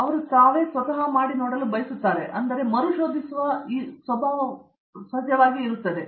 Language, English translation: Kannada, They would like to do themselves again, though that will be a guideline